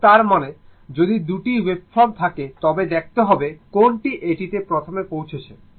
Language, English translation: Bengali, So, that means, if you have 2 waveforms, you have to see which one is reaching it is first